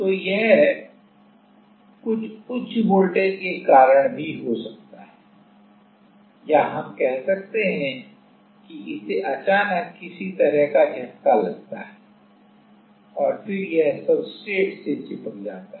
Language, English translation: Hindi, So, this can happen during because of some higher voltage also or let us say it suddenly get some kind of shock and then it gets stuck to the substrate